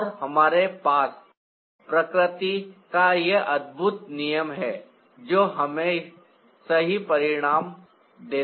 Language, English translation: Hindi, and we have this amazing rule of nature that gives us the right result